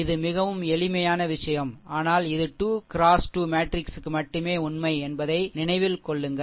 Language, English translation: Tamil, It is a very it is a very simple thing, but remember it is only true for 3 into 3 matrix